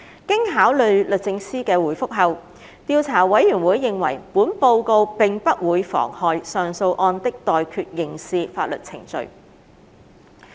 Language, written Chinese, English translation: Cantonese, 經考慮律政司的回覆後，調查委員會認為本報告並不會妨害上訴案的待決刑事法律程序。, Having considered DoJs reply the Investigation Committee considered that this Report would not prejudice the pending criminal proceedings of the appeal case